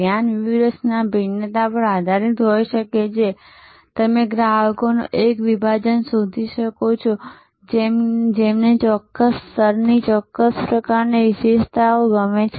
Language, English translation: Gujarati, The focus strategy can also be based on differentiation, you can find a segment of customer, who like a certain types of features of certain level of